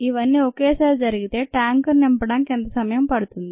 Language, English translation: Telugu, how long would it take to fill the tank, the